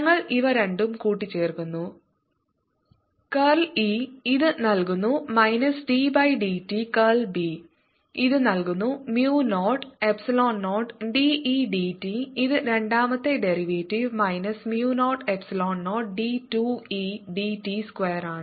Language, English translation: Malayalam, square e equals minus d by d t of curl of b, which is mu, zero, epsilon, zero, d, e, d t, which is the second derivative minus mu, zero, epsilon, zero d, two e by d t square